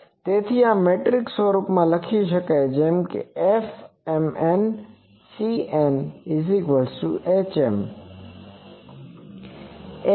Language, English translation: Gujarati, So, this can be written in metric form as F m n C n is equal to h m